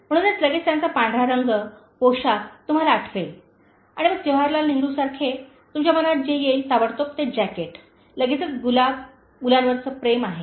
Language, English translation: Marathi, So immediately you will remember her white color, attire and then whatever comes to your mind like Jawaharlal Nehru, the jacket immediately, the rose is love for children